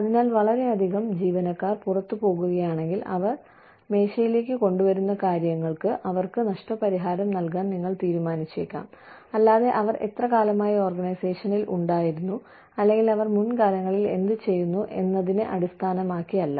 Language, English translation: Malayalam, So, the need for, again, if too many employees are moving out, then you may decide, to compensate them for, what they bring to the table, and not so much, for how long they have been, in the organization, or what they have been doing, in the past